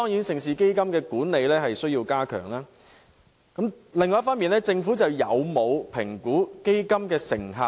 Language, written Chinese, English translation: Cantonese, 盛事基金的管理固然有待改善，但政府有否評估基金的成效？, The management of the Mega Events Fund has certainly left a lot to be desired . Nevertheless has the Government assessed the effectiveness of the Fund?